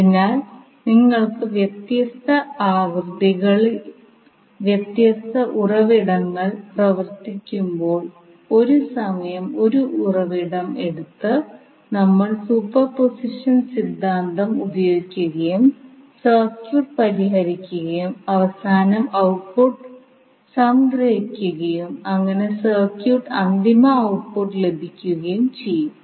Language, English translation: Malayalam, So when you have different sources operating at different frequencies we will utilize the superposition theorem by taking one source at a time and solve the circuit and finally we sum up the output so that we get the final output of the circuit